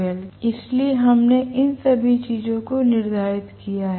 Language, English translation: Hindi, So, we have determined all these things, right